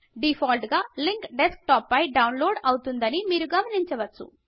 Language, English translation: Telugu, You notice that by default the link would be downloaded to Desktop